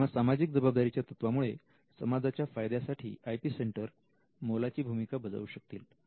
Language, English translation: Marathi, So, the social responsibility will actually make the IP centres role as something that will also benefit the society